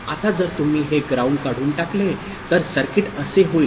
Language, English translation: Marathi, Now if you remove this ground like this circuit becomes like this